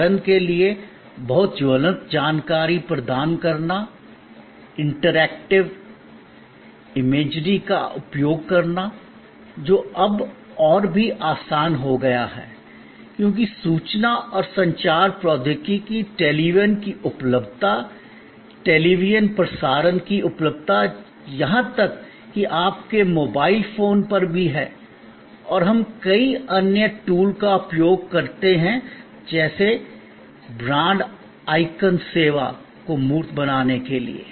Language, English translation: Hindi, For example, providing very vivid information, use interactive imagery, which is now become even easier, because of information and communication technology, availability of television, availability of television transmission even on your mobile phone and we use many other tools like say a brand icons to make the service tangible